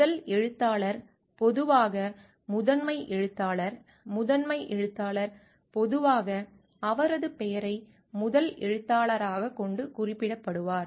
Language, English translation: Tamil, First author is usually the lead author the lead author is usually indicated by keeping his name as the first author